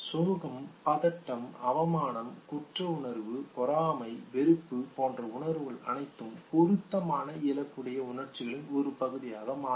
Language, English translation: Tamil, Emotions like sadness, anxiety, shame, guilt, envy, disgust they all become the part of the gold in congruent emotions